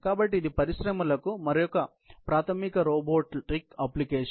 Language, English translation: Telugu, So, it is another fundamental robotic application for industries